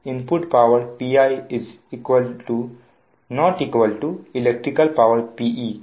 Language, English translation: Hindi, so the input power p i is not equal to that electric, your p e